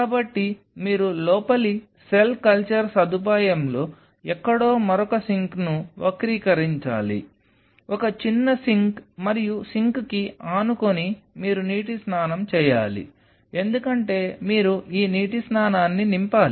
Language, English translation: Telugu, So, you needed to curve out another sink somewhere out here in the inner cell culture facility, a small sink and adjacent to the sink you have to have a water bath because you have to fill this water bath